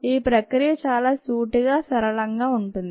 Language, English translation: Telugu, the process is very simple